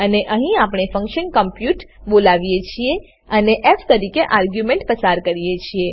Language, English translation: Gujarati, And here we call function compute and pass f as argument